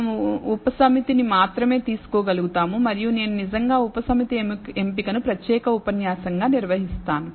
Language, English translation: Telugu, We may be able to take only a subset and I will actually handle subset selection as a separate lecture